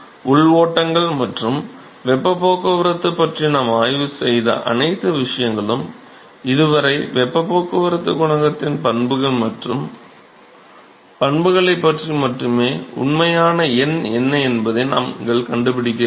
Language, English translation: Tamil, So, all the things that we have studied about heat transport through internal flows is so far only about the characteristics and properties of the heat transport coefficient we never found what is the actual number right